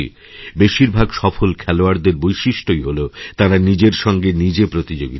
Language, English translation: Bengali, It is a feature in the life of most of the successful players that they compete with themselves